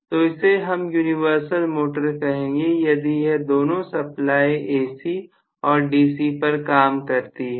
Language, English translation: Hindi, So, we call that as universal motor, if it can work on both AC as well as DC